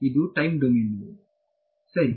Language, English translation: Kannada, It is time domain right